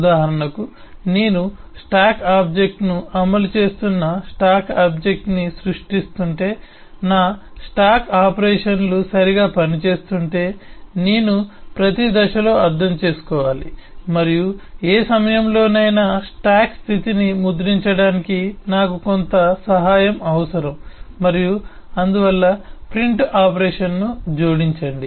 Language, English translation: Telugu, for example, if I am eh creating the stack object, implementing the stack object, and eh then I need to understand at a stage if my stack operations are working correctly and I might need some help to print the state of the stack at any point of time and therefore add a print operation